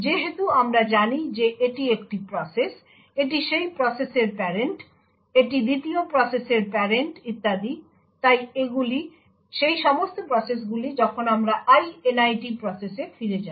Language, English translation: Bengali, So, as we know if this is a process, this is the parent of that process, this is the parent of the 2nd process and so on, so all processes while we go back to the Init process